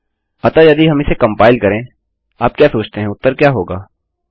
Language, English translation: Hindi, So if we compile this what do you think the result is gonna be